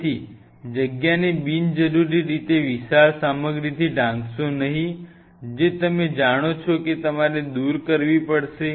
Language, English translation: Gujarati, So, do not unnecessarily cover of the space with bulky stuff which you know you have to remove